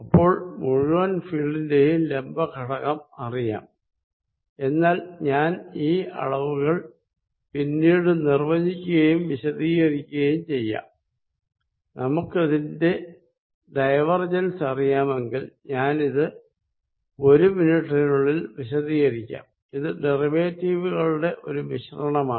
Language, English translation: Malayalam, So, perpendicular component all the field is known, then I am going to define and explain those quantities later, if we know the divergence I will explain its meaning in a minute which is the combination of derivatives in this from